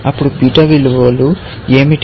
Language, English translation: Telugu, Now, what are beta values